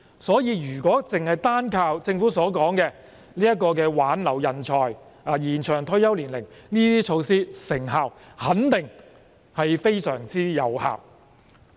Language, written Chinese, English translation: Cantonese, 所以，如果單靠政府所說的挽留人才及延長退休年齡等措施，成效肯定非常有限。, Therefore if we simply rely on the measures to retain talents and the extension of the retirement age as mentioned by the Government the effect will definitely be very limited